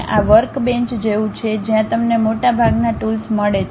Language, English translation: Gujarati, This is more like a workbench where you get most of the tools